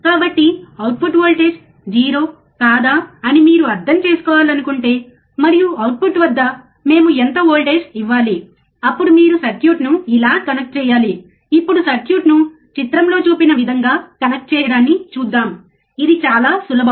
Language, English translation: Telugu, So, if you want to understand whether output voltage is 0 or not, and how much voltage we have to give at the output, then you have to do you have to connect the circuit, like this, now let us see the connect the circuit as shown in figure it is very easy, right